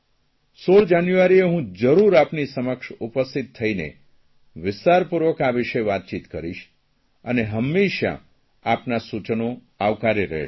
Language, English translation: Gujarati, I will definitely interact with you on 16th January and will discuss this in detail